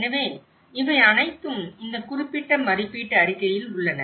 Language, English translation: Tamil, So, that is all been covered in this particular assessment report